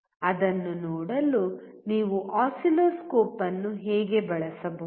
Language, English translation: Kannada, How you can use the oscilloscope to look at it